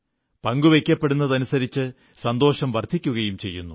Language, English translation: Malayalam, The more you share joy, the more it multiplies